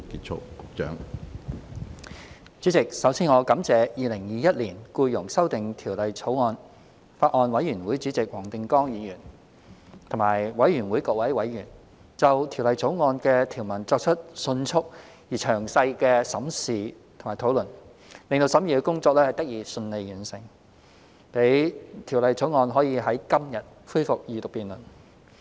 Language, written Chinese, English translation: Cantonese, 主席，首先，我感謝《2021年僱傭條例草案》委員會主席黃定光議員和各位委員，就《2021年僱傭條例草案》的條文作出迅速而詳細的審視和討論，令審議工作得以順利完成，讓《條例草案》可以在今天恢復二讀辯論。, President I would first like to thank Mr WONG Ting - kwong Chairman of the Bills Committee on Employment Amendment Bill 2021 and its members for their efficient and detailed scrutiny of and discussion on the provisions of the Employment Amendment Bill 2021 the Bill such that the deliberation can be completed smoothly and we can resume the Second Reading debate on the Bill today